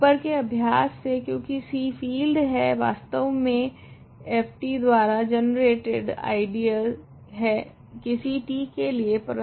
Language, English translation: Hindi, By the exercise above because C is a field, I is actually an ideal generated by f t for some t some f t rather some ft in C t